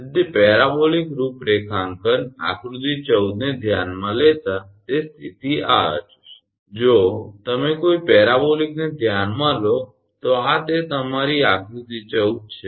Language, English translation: Gujarati, So, considering parabolic configuration figure – 14 shows the condition this is if you consider a parabolic one this is your figure – 14